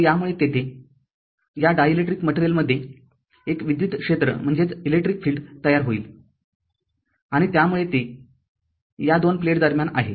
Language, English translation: Marathi, So, because of this there will be an electric field will be will be created in this dielectric material and electric field will be created